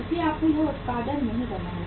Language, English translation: Hindi, So you have not to produce today